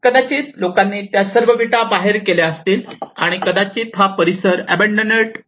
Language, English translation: Marathi, So they might have taken all these bricks and taken out, and probably this area might have got abandoned